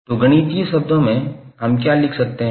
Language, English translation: Hindi, So in mathematical terms what we can write